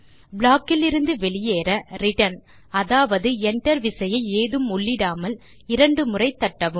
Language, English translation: Tamil, To exit from the block press the return key or the enter key twice without entering anything else